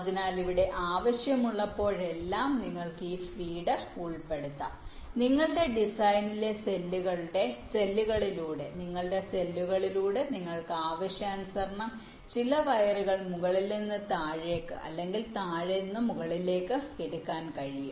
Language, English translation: Malayalam, so, ah, so here, whenever required, you can include this feed through cells in your design, in your cells, so that you can take some words from the top to bottom or bottom to top, as required